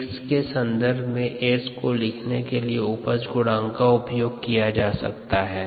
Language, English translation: Hindi, we can use the yield coefficient to write s in terms of x